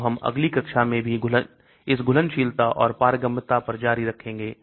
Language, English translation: Hindi, So we will continue on this solubility and drug permeability in the next class as well